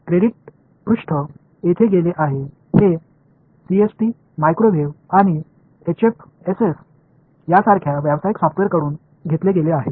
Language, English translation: Marathi, The credits page has gone from here these are taken from commercial software like CST, microwave and HFSS